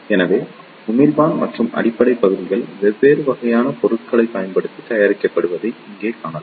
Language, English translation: Tamil, So, here you can see that the emitter and base regions are made using different type of materials